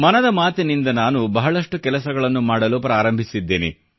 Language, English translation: Kannada, Taking a cue from Mann Ki Baat, I have embarked upon many initiatives